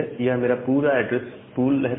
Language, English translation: Hindi, So, this was my entire address pool